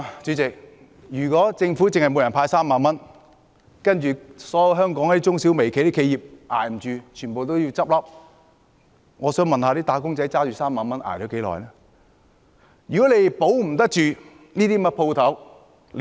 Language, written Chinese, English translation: Cantonese, 主席，如果政府只向每人派3萬元，然後所有香港中小微企捱不下去，全部都要倒閉，我想問"打工仔"拿着3萬元能捱到多久呢？, President if the Government merely hands out 30,000 to all citizens then all the mirco small and medium enterprises will have to close . May I ask for how long a wage earner can survive with the 30,000 handout?